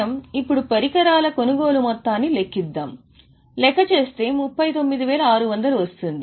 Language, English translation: Telugu, So let us calculate the purchase amount getting it, I have worked out 39,600